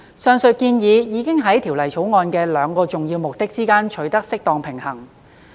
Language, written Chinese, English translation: Cantonese, 上述建議已在《條例草案》的兩個重要目的之間取得適當平衡。, The proposal did strike a balance between the two important objectives of the Bill